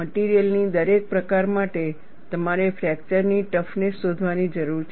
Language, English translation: Gujarati, For each category of material, you have to find out the fracture toughness